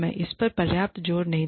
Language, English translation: Hindi, I cannot stress on this, enough